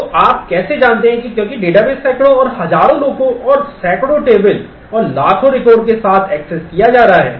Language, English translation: Hindi, So, how do you know that because a database is being accessed by hundreds and thousands of people and with hundreds of tables and millions of records